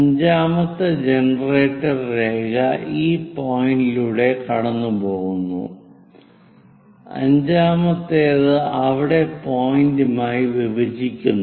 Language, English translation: Malayalam, 5th generator line is passing through this point and 5th one intersecting point that